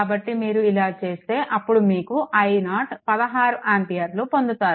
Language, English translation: Telugu, So, if you do; so, if you do; so, you will get i 0 is equal to 1 6 ampere